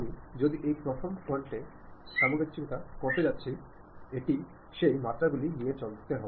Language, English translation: Bengali, Now, if I am going to adjust at this first front it is going to take these dimensions